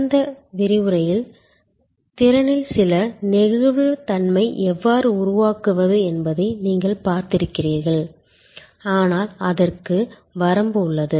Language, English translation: Tamil, You have seen in the last lecture, how we can create some flexibility in the capacity, but that has limitation